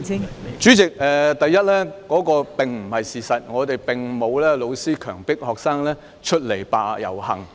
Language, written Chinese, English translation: Cantonese, 代理主席，第一，這並非事實，並沒有教師強迫學生出來遊行。, Deputy President first this is not true . No teacher has forced students to take to the streets